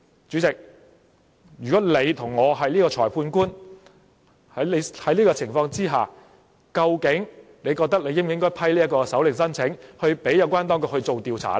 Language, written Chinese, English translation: Cantonese, 主席，如果你是裁判官，在這樣的情況之下，究竟你覺得應否批准搜查令申請，讓有關當局作出調查呢？, Chairman if you were the magistrate in such a situation would you permit the warrant application and allow the authorities to conduct investigation?